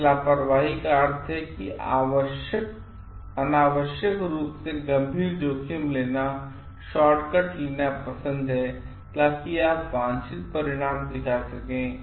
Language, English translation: Hindi, So, this recklessness means are taking unnecessarily serious risks or like taking shortcut, so that you can show desired results